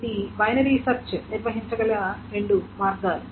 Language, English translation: Telugu, These are the two ways that this binary search can handle